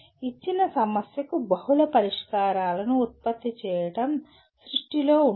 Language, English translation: Telugu, Creation involves producing multiple solutions for a given problem